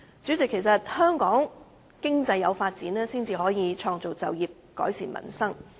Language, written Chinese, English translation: Cantonese, 主席，香港經濟有所發展才可以創造就業，改善民生。, President economic development in Hong Kong will create jobs and improve peoples livelihood